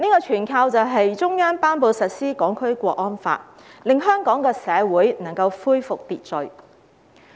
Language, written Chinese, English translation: Cantonese, 全靠中央頒布實施《香港國安法》，香港社會才能夠恢復秩序。, It is only thanks to the Central Governments promulgation of the Hong Kong National Security Law that order has been restored to Hong Kong society